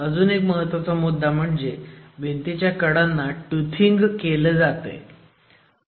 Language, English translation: Marathi, Another important prescription is how the edges of all walls must be toothed